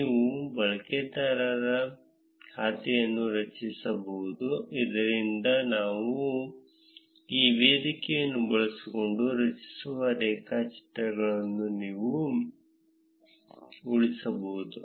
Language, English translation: Kannada, You can create a user account, so that you can save the graphs that we generate using this platform